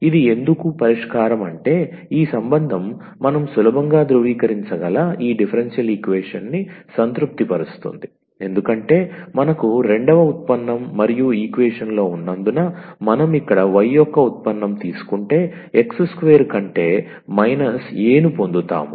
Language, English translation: Telugu, Why this is the solution, because this relation satisfies this differential equation which we can easily verify because if we take the derivative here of this y we will get minus A over x square and because we have the second derivative as well in the equation